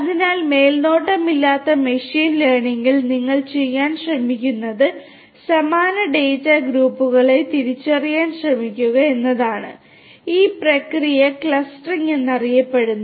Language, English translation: Malayalam, So, in machine learning unsupervised machine learning what you try to do is you try to identify similar groups of data and this process is known as clustering